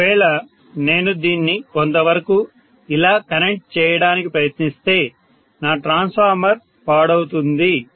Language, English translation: Telugu, If I try to connect it somewhat like this, I am going to end up spoiling the transformer, this is theoretical